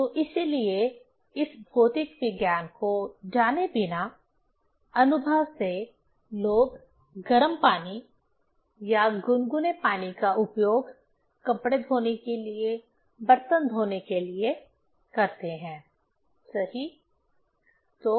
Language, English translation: Hindi, So, that is why, from experience, without knowing this physics, from experience people use the hot water or warm water for washing the cloths, for washing the utensils, right